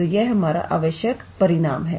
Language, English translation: Hindi, So, this is our required result